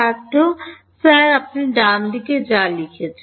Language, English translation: Bengali, Sir whatever you wrote at the right hand side